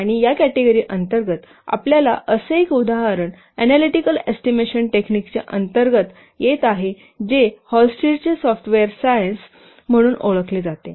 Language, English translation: Marathi, And under this category, you will see one such example is coming under analytical estimation technique that is known as Hullstates software science